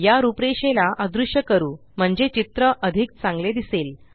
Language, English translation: Marathi, Lets make these outlines invisible so that the picture looks better